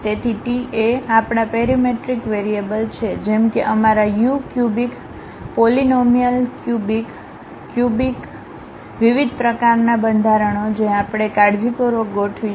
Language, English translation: Gujarati, So, t is our parametric variable, like our u, a cubic polynomial, a cubic, a cubic, a cubic in different kind of formats we are going to carefully adjust